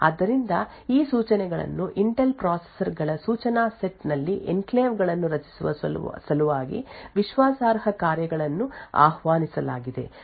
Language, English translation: Kannada, So, these instructions have been added on the instruction set of the Intel processors in order to create enclaves invoke trusted functions and so on